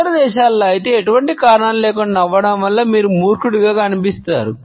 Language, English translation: Telugu, In other countries though, smiling for no reason can make you seem kind of dumb